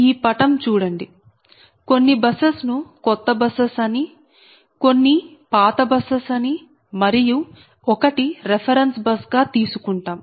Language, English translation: Telugu, we will as consider some buses are new bus, some buses are old bus, right, and one reference bus